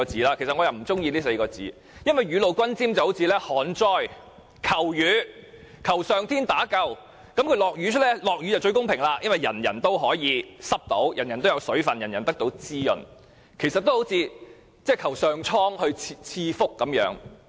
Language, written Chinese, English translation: Cantonese, 我卻不喜歡用這4個字，因為雨露均霑就像旱災求雨，求上天打救，一旦下雨便最公平了，因為人人也可以沾濕，也有水分，得到滋潤，就好像上蒼賜福一樣。, This is not my preferred way to describe it as the expression reminds me of asking rain from heaven in times of drought . When it does rain it is fair to everyone as every one of us gets wet and moisturized in a way similar to receiving a fortune bestowed by heaven